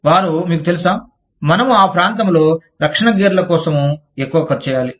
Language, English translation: Telugu, They should be, you know, we should be spending, much more on protective gear, in that region